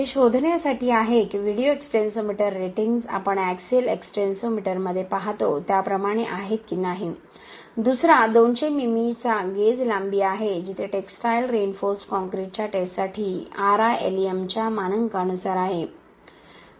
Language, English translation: Marathi, This is to detect whether the video extensometer ratings are as same as that of what we observe in axial extensometer, the second one is a gauge length of 200 mm where that is as per the standards of RILEM for testing of textile reinforced concrete